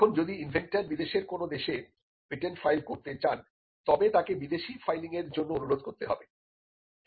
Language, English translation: Bengali, Now, if the inventor wants to file the patent in a foreign country then, the inventor has to request for a foreign filing